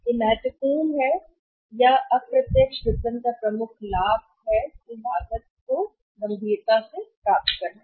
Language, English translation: Hindi, It is major important or the major benefit of the indirect marketing is the serious receiving upon the cost